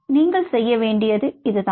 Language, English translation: Tamil, thats all you needed to do